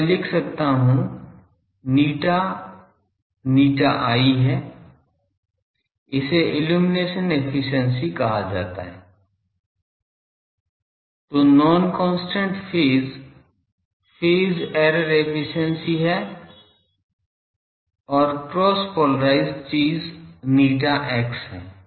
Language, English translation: Hindi, So, I can write eta is eta i this is called illumination efficiency, then non constant phase is phase error efficiency and cross polarised thing is eta x